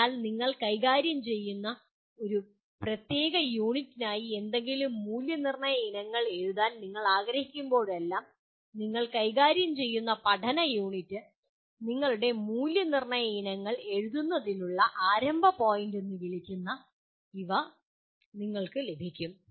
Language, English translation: Malayalam, So these are whenever you want to write any assessment items for a particular unit that you are dealing with, learning unit you are dealing with, you can have these as the what do you call starting point for writing your assessment items